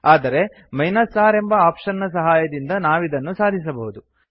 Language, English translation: Kannada, But using the R option we can do this